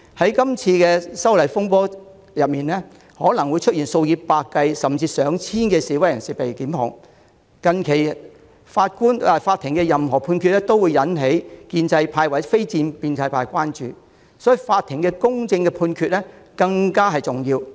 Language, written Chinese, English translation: Cantonese, 在這次修例風波中，數以百計甚至上千計示威人士可能會被檢控，近期法庭作出的判決均會引起建制派或非建制派關注，所以，法庭作出公正判決更為重要。, In this disturbance arising from the proposed legislative amendment hundreds and even thousands of protesters may be prosecuted . The judgments recently made by the court will arouse the concern of the pro - establishment camp or non - establishment camp